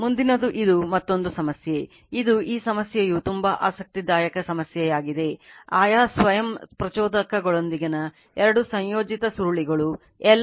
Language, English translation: Kannada, Next is this is another problem this is this problem is very interesting problem, 2 coupled coils with respective self inductances L 1 is 0